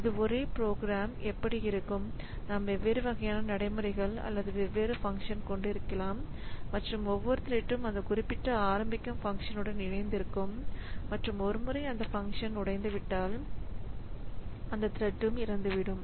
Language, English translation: Tamil, So, this that is how this within the same program we can have different different procedures or different different functions and each thread can be associated with one such function to start with and once that function is over that that thread also dies